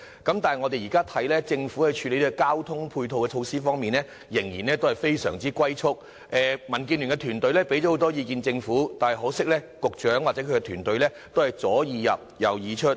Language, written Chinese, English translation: Cantonese, 但是，據我們現在所見，政府在處理交通措施配套方面，仍然非常"龜速"，民建聯團隊向政府提供了很多意見，可惜局長或其團隊都是"左耳入，右耳出"。, However according to our observation the Government is still handling the issue of ancillary transport services at tortoise speed . The Democratic Alliance for the Betterment and Progress of Hong Kong DAB has put forward many proposals to the Government but unfortunately the Secretary and his team have turned a deaf ear to us